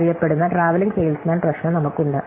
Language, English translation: Malayalam, So, we have this well known traveling salesman problem